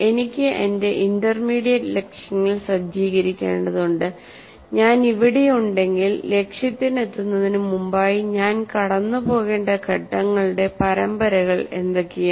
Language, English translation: Malayalam, So I need to set up my intermediate goals if I am here what are this series of steps that I need to go through before I can finally reach the target